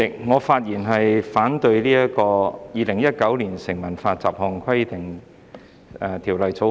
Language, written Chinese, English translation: Cantonese, 主席，我發言反對三讀《2019年成文法條例草案》。, President I speak to oppose the Third Reading of the Statute Law Bill 2019 the Bill